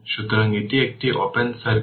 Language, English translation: Bengali, So, it is open circuit